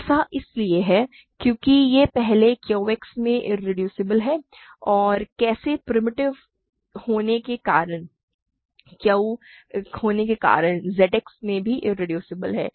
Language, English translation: Hindi, It is because it is irreducible in Q X first and how because it is primitive it is also irreducible in Z X, right